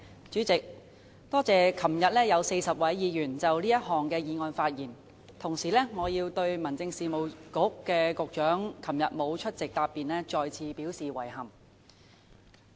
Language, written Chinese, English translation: Cantonese, 主席，我感謝昨天有40位議員就這項議案發言，同時我要對民政事務局局長昨天沒有出席答辯，再次表示遺憾。, President I am grateful to the 40 Members who spoke on this motion yesterday . At the same time I again express regret that the Secretary for Home Affairs did not attend the debate and give a reply yesterday